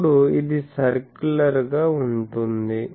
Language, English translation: Telugu, Then this is circular